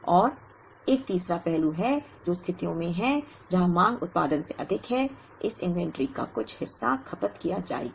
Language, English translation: Hindi, And there is a third aspect which is in situations, where demand is more than production, some part of this inventory will be consumed